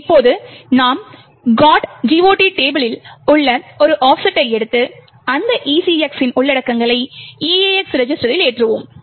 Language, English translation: Tamil, Now, we take offset in the GOT table and that to ECX and load the contents into EAX register